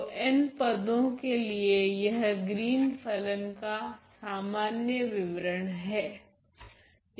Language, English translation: Hindi, So, for an n term, so, this is the general description of the Green’s function